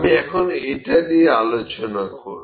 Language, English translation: Bengali, I will just discuss this